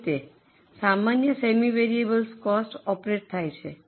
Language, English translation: Gujarati, This is how normally semi variable costs operate